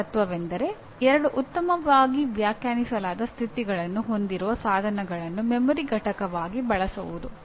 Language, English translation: Kannada, And still earlier principle a device that has two well defined states can be used as a memory unit